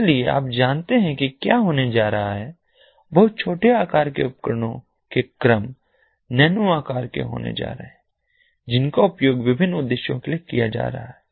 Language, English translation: Hindi, so you know, what is going to happen is there are going to be very small sized nanosiz[e] nanoin the order in the, in order of nano sized devices that are going to be used for different purposes